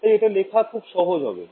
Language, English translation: Bengali, So, this should be very easy to write down